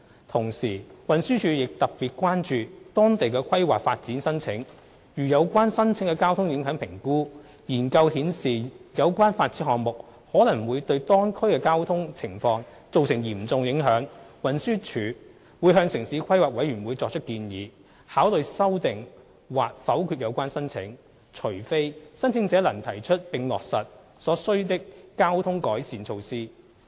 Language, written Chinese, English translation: Cantonese, 同時，運輸署亦特別關注當地的規劃發展申請，如有關申請的交通影響評估研究顯示有關發展項目可能會對當區的交通情況造成嚴重影響，運輸署會向城市規劃委員會作出建議，考慮修訂或否決有關申請，除非申請者能提出並落實所需的交通改善措施。, Meanwhile TD has been paying particular attention to planning applications for developments in the area . If the Traffic Impact Assessment Study of the relevant application indicated that the concerned development might cause significant impact on local traffic TD would propose to the Town Planning Board to consider amending or rejecting the application unless the applicant could come up with and implement the necessary traffic improvement measures